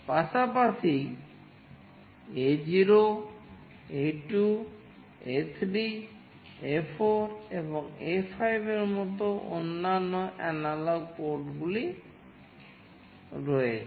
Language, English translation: Bengali, There are other analog ports as well like A0, A2, A3, A4 and A5